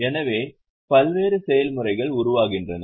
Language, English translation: Tamil, So, various processes are formed